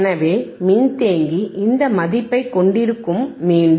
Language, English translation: Tamil, So, capacitor will hold this value again